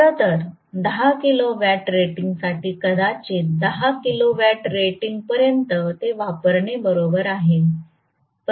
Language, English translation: Marathi, In fact, even for 10 kilowatt rating maybe until 10 kilowatt rating it is okay to use it